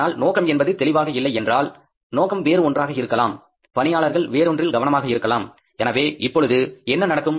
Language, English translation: Tamil, But if the target is not clear, is target is something else, employees are focusing upon something else, then what is going to happen